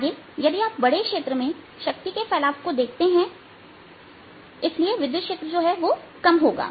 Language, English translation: Hindi, further away you go, the power splits over a larger area and therefore electric field is going to go down